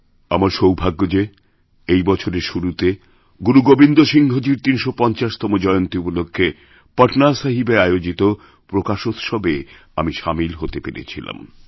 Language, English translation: Bengali, I'm fortunate that at the beginning of this year, I got an opportunity to participate in the 350th birth anniversary celebration organized at Patna Sahib